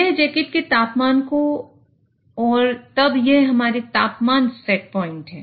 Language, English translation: Hindi, So it will measure the jacket temperature and then this is our temperature set point